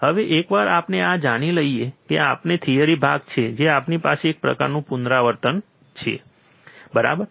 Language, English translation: Gujarati, Now, once we know this which is our theory part which we have kind of repeated, right